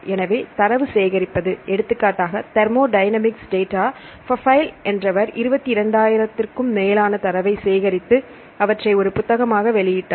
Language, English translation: Tamil, So, they collect the data for example, thermodynamic data, Pfeil collected more than 22,000 data and published a book